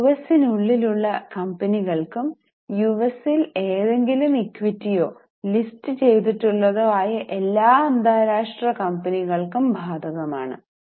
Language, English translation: Malayalam, This is applicable to US and also to all international companies who have listed any equity or debt in US